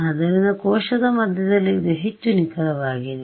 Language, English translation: Kannada, So, its more accurate in the middle of the cell